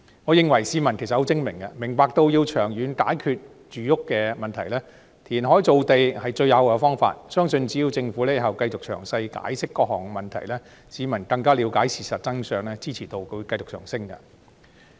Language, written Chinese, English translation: Cantonese, 我認為市民十分精明，明白到要長遠解決住屋問題，填海造地是最有效的方法，只要政府日後繼續詳細解釋各項問題，市民更了解事實真相，相信支持度將會繼續上升。, I think the public are very smart as they understand that reclamation is the most effective way to solve the housing problem in the long run . With further explanations in detail by the Government on various issues the public will better understand the truth of the matter and increasingly support the project